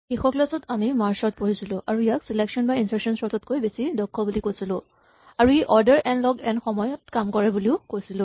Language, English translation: Assamese, In the last lecture we looked at Merge Sort and we informally claimed that it was much more efficient than insertion sort or selection sort and we claimed also that it operates in time order n log n